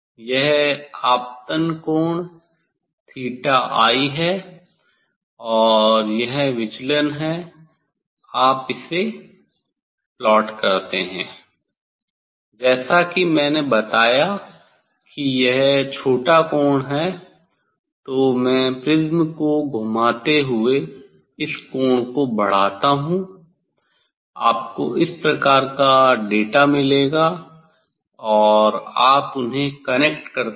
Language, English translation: Hindi, this is the incident angle theta I and this is the deviation So; you plot it for; it is the smaller angle as I told then I increase the angle rotating the prism you will get this type of data this type of data you will get and you connect them